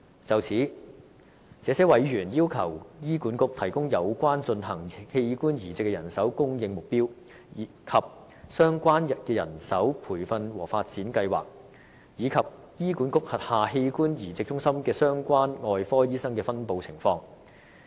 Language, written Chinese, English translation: Cantonese, 就此，這些委員要求醫管局提供有關進行器官移植手術的人手供應目標；相關的人手培訓和發展計劃；以及醫管局轄下器官移植中心的相關外科醫生的分布情況。, In this connection they request that HA provide information about the manpower provision target for organ transplants; the relevant plans of manpower training and development; and the distribution of the relevant organ transplant surgeons in the organ transplant centres of HA